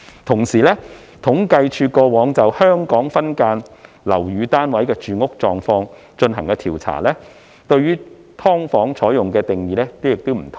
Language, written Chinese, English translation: Cantonese, 同時，政府統計處過往就"香港分間樓宇單位的住屋狀況"進行調查，對"劏房"的定義亦有不同。, Meanwhile the Census and Statistics Department had adopted a different definition of SDUs in the earlier surveys on housing conditions of SDUs